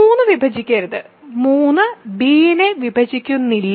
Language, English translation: Malayalam, So, 3 does not divide b and d